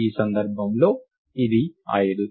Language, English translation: Telugu, In this case, it is 5